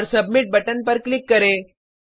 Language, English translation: Hindi, And Click on Submit button